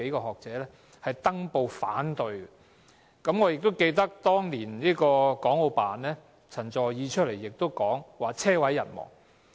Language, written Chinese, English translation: Cantonese, 我亦記得，對於此事，當年國務院港澳事務辦公室的陳佐洱說"車毀人亡"。, I can also remember that on this matter CHEN Zuoer from the Hong Kong and Macao Affairs Office of the State Council asserted back then that it would end up like a car crash killing everybody on board